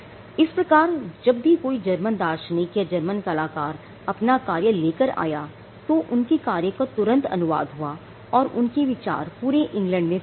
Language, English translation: Hindi, So, when you found a new German philosopher coming up with his work or a German artist coming up with this work, you found quickly people translating them and that idea spreading in England